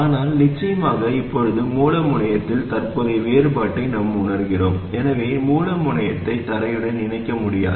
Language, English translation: Tamil, But of course now we are sensing the current difference at the source terminal so we cannot connect the source terminal to ground